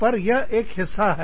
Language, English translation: Hindi, So, that is one part